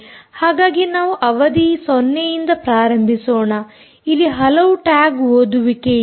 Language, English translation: Kannada, ok, so lets start with session zero, you must have many tag reads